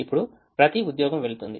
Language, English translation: Telugu, each job goes to one person